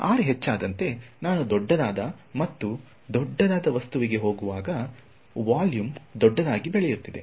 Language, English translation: Kannada, So as r increases, as I go to a larger and larger object which number is becoming larger volume is growing larger